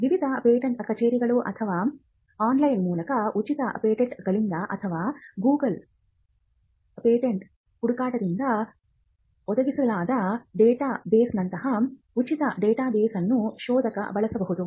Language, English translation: Kannada, Because a searcher may use a free database like a database provided by the various patent offices or by free patents online or by google, googles patent search